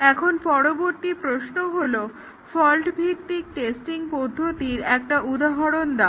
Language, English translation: Bengali, Now, the next question is give an example of a fault based testing technique